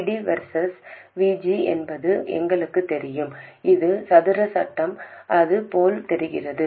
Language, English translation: Tamil, We know that ID versus VG, it is the square law